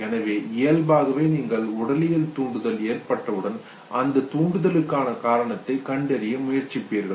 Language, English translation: Tamil, So by default once you have the physiological arousal you will try to find the reason behind that arousal